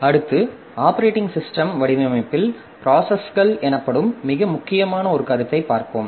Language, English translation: Tamil, Next we shall be looking into one of the very important concept in operating system design which is known as processes